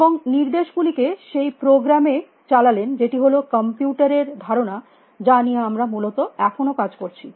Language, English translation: Bengali, And run the instructions in that program, which is the notion of computers, that we are still working with essentially